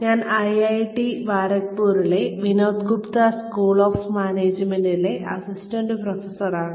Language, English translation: Malayalam, I am an assistant professor, in Vinod Gupta school of management, at IIT Kharagpur